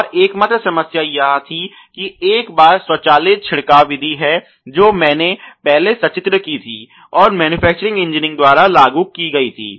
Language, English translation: Hindi, And the only problem was that you know once there is a automatic spraying method which I illustrated earlier was implemented by the manufacturing engineering